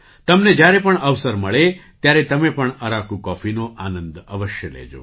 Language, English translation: Gujarati, Whenever you get a chance, you must enjoy Araku coffee